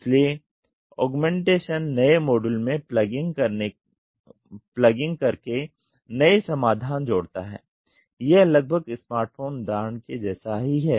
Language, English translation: Hindi, So, the augmentation adding new solutions by merely plugging in a new module it is almost the Smartphone example